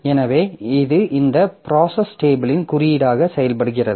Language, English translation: Tamil, So, that simply acts as index of this process table